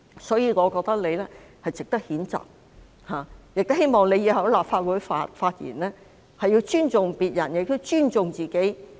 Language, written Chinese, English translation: Cantonese, 因此，我覺得毛議員應予以譴責，亦希望她以後在立法會發言時尊重別人和自己。, Therefore I think Ms MO should be censured and I hope she will respect herself and others when she speaks at the Council in future